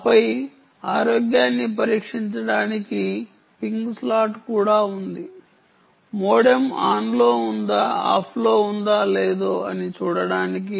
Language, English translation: Telugu, and then of course there is a ping slot also for testing the health of the modem, whether its on, off, and all that